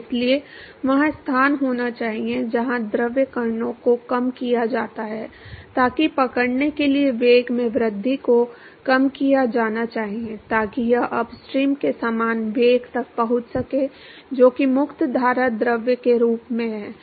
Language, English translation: Hindi, So, therefore, there has to be location where the fluid particles are decelerated so that the increase in the velocity in order to catch up must be decelerated so that it reaches to same velocity as that of the upstream as that of the free stream fluid